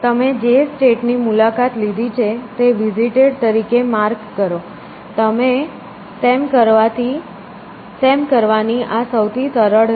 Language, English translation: Gujarati, Mark that state has visited, that is the simplest way of doing it